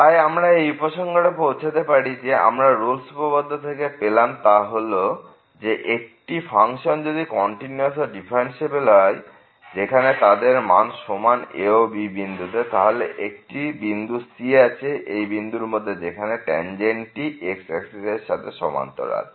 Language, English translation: Bengali, So, again the conclusion here we have a studied the Rolle’s Theorem which says that if the function is continuous and differentiable having the same value at this and , then there will be a point somewhere in the open interval ,b), where the tangent to this function will be parallel to the axis